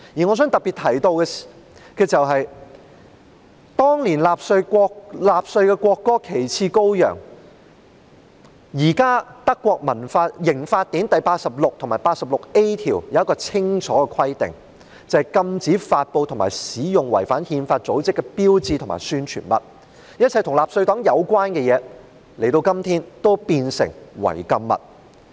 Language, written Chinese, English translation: Cantonese, 我想特別提到，對於當年納粹的國歌"旗幟高揚"，現時德國刑法典第86及 86a 條有清楚的規定，禁止發布和使用違反憲法的組織的標誌和宣傳物，一切與納粹黨有關的東西，今天已變成違禁物。, I would like to mention in particular that regarding Die Fahne Hoch the national anthem of the Nazis back then sections 86 and 86a of the German Criminal Code have express provisions prohibiting the dissemination and use of symbols and propaganda materials of unconstitutional organizations . Everything relating to the Nazi Party is banned nowadays